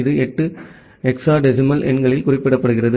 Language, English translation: Tamil, It is represented in 8 hexadecimal numbers